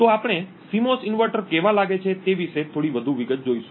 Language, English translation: Gujarati, So, we will see little more detail about what a CMOS inverter looks like